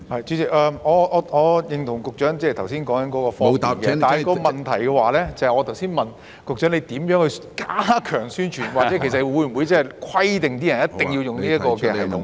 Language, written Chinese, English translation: Cantonese, 主席，我認同局長剛才所說的方便，但我剛才的問題是局長會如何加強宣傳，或會否規定市民必須使用這個程式呢？, President I agree with the provision of convenience mentioned by the Secretary just now but my question was how the Secretary will enhance publicity and whether members of the public will be required to use this app